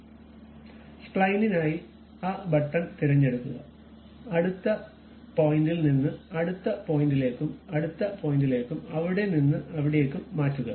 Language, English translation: Malayalam, So, for spline you pick that button, next point from next point to next point from there to there and so on